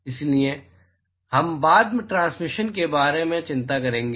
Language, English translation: Hindi, So, we will worry about transmission later